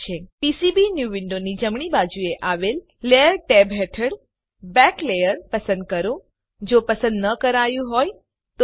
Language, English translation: Gujarati, Under the Layer tab on the right side of the PCBnew window select Back layer if not selected